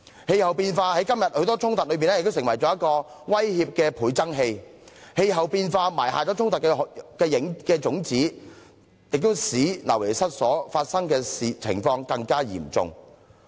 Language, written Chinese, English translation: Cantonese, 氣候變化在今天多種衝突中亦成為威脅的倍增器，因氣候變化埋下衝突的種子，亦使流離失所的情況更加嚴重。, Climate change has also become a multiplier of threats in various conflicts nowadays and the seeds of discord thus sowed have also intensified the problem of forced displacement